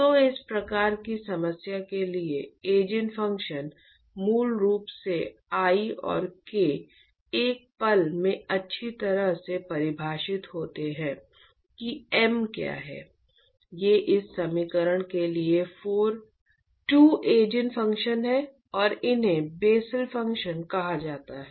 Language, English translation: Hindi, So, for this type of problem the Eigen functions are basically I and K well defined in a moment what m is, these are the 2 Eigen functions for this equation and these are called as Bessel functions if you know